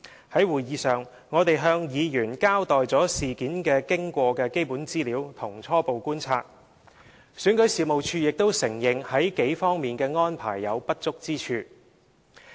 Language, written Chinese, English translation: Cantonese, 在會議上，我們向委員交代事件經過的基本資料和一些初步觀察，選舉事務處亦承認在數方面的安排有不足之處。, In that meeting we provided members with the basic information regarding the course of the incident in addition to some preliminary observations of ours . REO also admitted there were deficiencies in several aspects of the arrangement